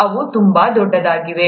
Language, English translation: Kannada, They are very large too